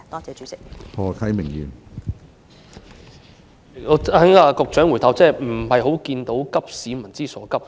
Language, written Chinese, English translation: Cantonese, 主席，從局長的答覆，我看不到她急市民所急。, President judging from the Secretarys reply I cannot see her share the peoples urgent concern